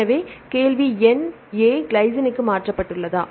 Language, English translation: Tamil, So, the question number one A is mutated to glycine, right